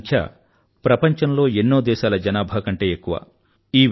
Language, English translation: Telugu, This number is larger than the population of many countries of the world